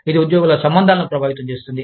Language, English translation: Telugu, It can affect, employee relations